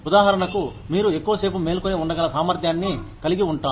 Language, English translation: Telugu, For example, if you have the ability to stay, awake for longer hours